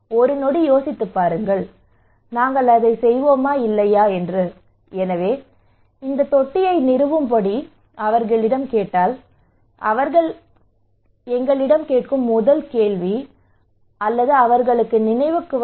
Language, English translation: Tamil, Just think about for a seconds that will we do it or not so if we ask them to install this tank what they will think what first question will come to their mind